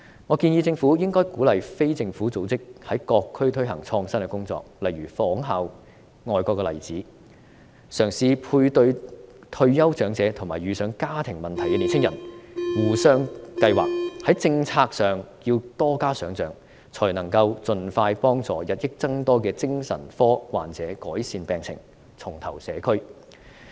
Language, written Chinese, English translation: Cantonese, 我建議政府應該鼓勵非政府組織，在各區推行創新工作，例如仿效外國的例子，嘗試配對退休長者與遇上家庭問題的年青人，互相計劃。在政策上要多加想象，才能夠盡快幫助日益增多的精神科患者改善病情，重投社區。, I suggest that the Government should encourage non - governmental organizations to carry out innovative work in various districts such as introducing a mutual support scheme modelled on foreign examples to tentatively match retired elderly people with young people troubled by family problems . Only more creativity in policy making can help the increasing number of psychiatric patients improve their condition and reintegrate into the community as soon as possible